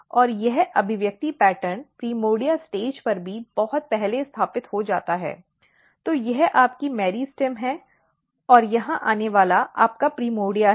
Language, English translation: Hindi, And this expression pattern is established very early even at the primordia stage, so this is your meristem and this is your first primordia here coming